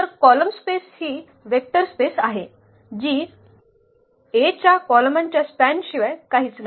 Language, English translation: Marathi, So, column space is a vector space that is nothing but the span of the columns of A